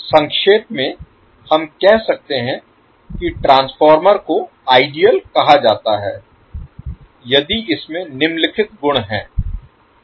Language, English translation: Hindi, So to summaries we can say the transformer is said to be ideal if it has the following properties